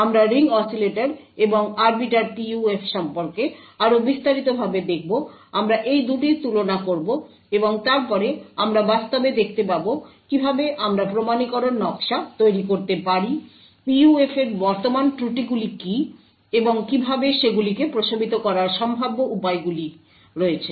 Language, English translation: Bengali, We will look more in detail about the Ring Oscillator and Arbiter PUF, we will compare the 2 of them and then we will actually see how we could build authentication schemes, what are the current drawbacks of PUFs and how potentially they can be mitigated